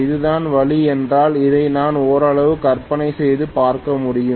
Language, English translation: Tamil, If this is the way, it is going to be I can imagine it somewhat like this